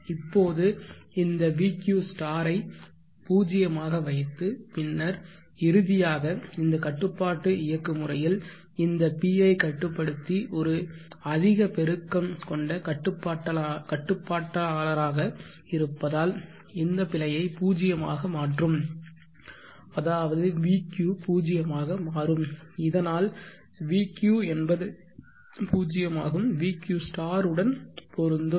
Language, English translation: Tamil, Now this vq* here I am setting it to 0 then eventually this control mechanism will operate in such a way that this PI controller being high gain controller will make this error 0 which means vq will become 0 match with the vq* and therefore we can say that the